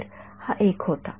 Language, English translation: Marathi, So, this was one